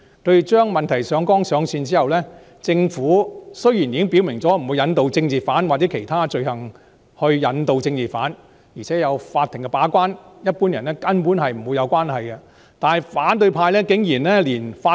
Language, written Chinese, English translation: Cantonese, 他們把問題上綱上線之後，雖然政府已經表明不會引渡政治犯，或以其他罪行引渡政治犯，而且有法庭把關，一般人根本不會無端被牽涉，但反對派竟然抹黑法庭。, They have elevated the issue to the political plane . Despite the Governments categorical assertion that political offenders will not be extradited or be extradited on other offences and that the Court will act as the gatekeeper so that ordinary people will absolutely not be implicated for no reason the opposition camp has outrageously smeared the Court